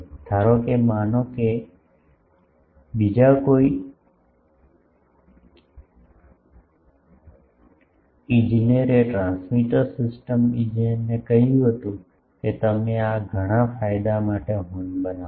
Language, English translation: Gujarati, Actual, suppose some other engineer suppose a transmitter system engineer said that you construct a horn of this much gain